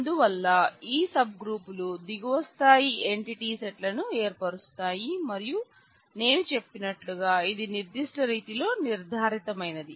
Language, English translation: Telugu, So, these sub groups form lower level entity sets and as I said that it is designated in a certain way